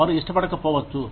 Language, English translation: Telugu, They may not like it